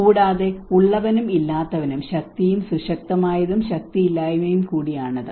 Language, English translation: Malayalam, And it is also about haves and have nots, power and powerful and powerlessness